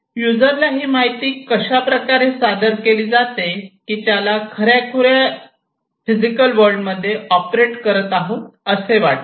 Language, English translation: Marathi, So, this information to the user is presented in such a way that the user feels that the user is operating is acting in the real world or physical world